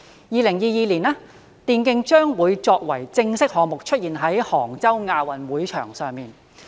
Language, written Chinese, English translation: Cantonese, 2022年，電競將會作為正式項目，出現在杭州亞運會場上。, In 2022 e - sports will be an official sport in the Asian Games in Hangzhou